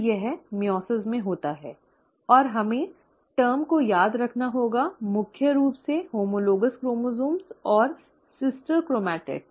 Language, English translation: Hindi, So this is what happens in meiosis and we have to remember the terms, mainly the homologous chromosomes and sister chromatids